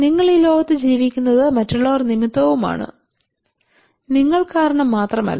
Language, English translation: Malayalam, So you are living in this world because of others not because of you only